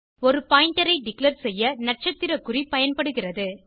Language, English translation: Tamil, Asterisk sign is used to declare a pointer